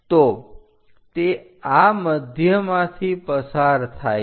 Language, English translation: Gujarati, So, it passed through centre of this